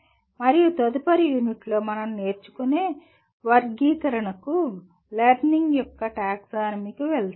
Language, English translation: Telugu, And the next unit we will move on to the Taxonomy of Learning